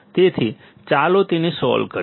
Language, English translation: Gujarati, So, let us solve it